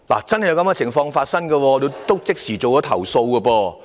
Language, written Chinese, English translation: Cantonese, 這是千真萬確的事，我已即時投訴。, This incident was absolutely true and I lodged a complaint immediately